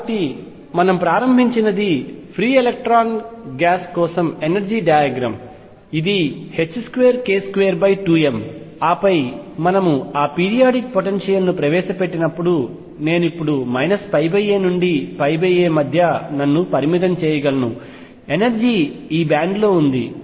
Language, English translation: Telugu, So, what we started with was the energy diagram for a free electron gas which was h cross square k square over 2 m, and then when we introduced that periodic potential I can now confine myself between minus pi by a to pi by a, the energy fell into this band